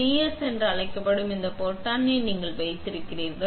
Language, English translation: Tamil, You hold this button called DS